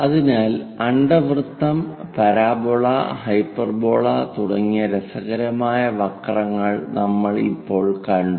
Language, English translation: Malayalam, So, till now we have looked at very interesting curves like ellipse, parabola and hyperbola